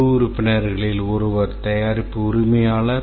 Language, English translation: Tamil, One of the team member is the product owner